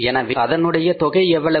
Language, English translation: Tamil, Sales are how much